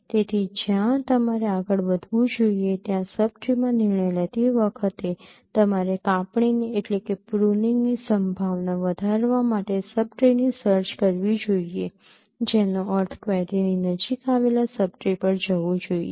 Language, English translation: Gujarati, So while taking a decision in the sub tree where you will you should move next, you should search the sub tree to maximize the chance of pruning which means go to the sub tree which is closer to the query